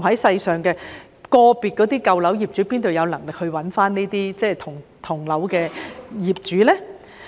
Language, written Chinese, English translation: Cantonese, 試問個別的舊樓業主哪有能力找到同樓業主？, How can we expect an individual owner of an old building to be able to locate other owners of that building?